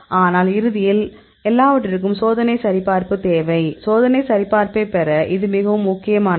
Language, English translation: Tamil, But eventually for everything you need the experimental validation; this is very important to have the experimental validation